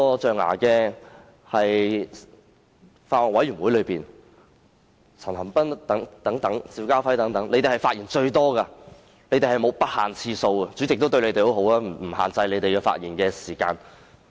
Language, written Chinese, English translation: Cantonese, 在法案委員會會議上，陳恒鑌議員和邵家輝議員的發言次數最多，完全不限次數，而主席對他們也很好，沒有限制他們的發言時間。, At the meeting of the Bills Committee concerned Mr CHAN Han - pan and Mr SHIU Ka - fai spoke most frequently for an unlimited number of times . Moreover the Chairman being very kind to them did not impose any limitation on the speaking time